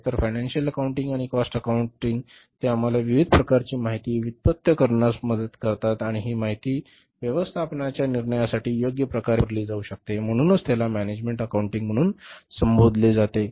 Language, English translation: Marathi, So, financial accounting and cost accounting, they help us to generate different kind of information and that information can be suitably used for the management decision making